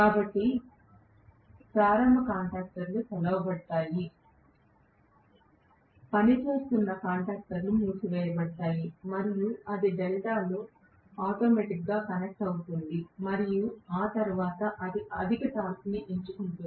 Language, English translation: Telugu, So starting contactors will be opened out, running contactors will be closed and then it will become connected automatically in delta and then you know it will pick up a higher torque after that right